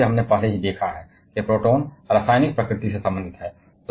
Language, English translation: Hindi, And as we have already seen that protons are related to the chemical nature